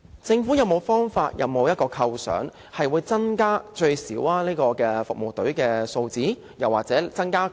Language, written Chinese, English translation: Cantonese, 政府有沒有方法，有沒有構想，令這些服務隊的數字最少增加多少？, Has the Government any way or idea to increase the number of such service teams by at least a certain number?